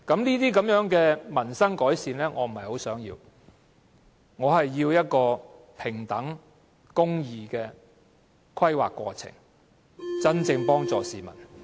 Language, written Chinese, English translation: Cantonese, 這種改善民生的措施，我並不想要，我想要的是一個平等和公義的規劃過程，這樣才能真正幫助市民。, Measures for improving peoples livelihood of this kind are not what I desire . I wish to see a planning process that upholds equality and justice for only this can truly help the people